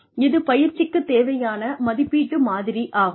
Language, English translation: Tamil, This is the training needs assessment model